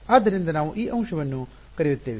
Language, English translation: Kannada, So, we will call this an element